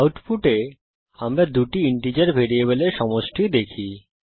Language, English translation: Bengali, So this method will give us the sum of two integer variables